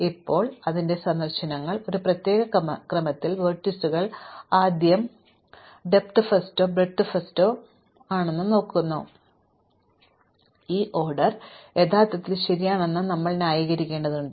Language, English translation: Malayalam, Now, its visits vertices in a particular order which is different from breadth first or the depth first, and we need to justify that this order is actually correct